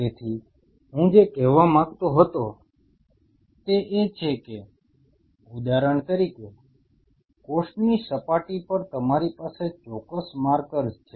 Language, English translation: Gujarati, So, what I wanted to say is say for example, on the cell surface you have specific markers